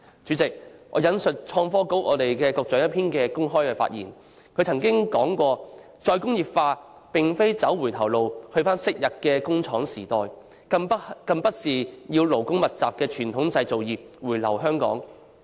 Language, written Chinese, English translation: Cantonese, 主席，我引述創新及科技局局長的一篇公開發言，他曾經指出"'再工業化'並非走回頭路到昔日的工廠時代，更不是要勞工密集的傳統製造業回流香港"。, President I would like to refer to a public speech made by the Secretary for Innovation and Technology . He said that Re - industrialization is not going back to the former factory era or asking the labour - intensive traditional manufacturing industries to relocate back to Hong Kong